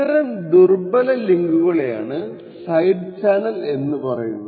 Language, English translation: Malayalam, So the weak link that we actually look is known as side channels